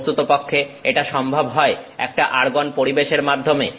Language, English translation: Bengali, This is accomplished by the fact that we have an argon atmosphere